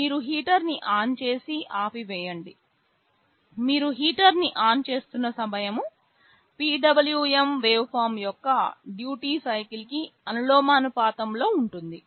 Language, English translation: Telugu, You turn ON and OFF the heater, the time you are turning ON the heater will be proportional to the duty cycle of the PWM waveform